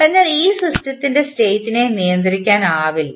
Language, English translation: Malayalam, So, therefore this system is not state controllable